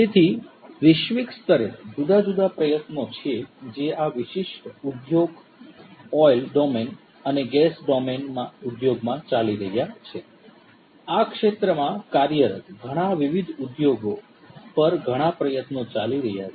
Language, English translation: Gujarati, So, there are different efforts globally that are going on in this particular industry domain oil and gas industry domain; lot of efforts are going on, lot of these different industries operating in these spheres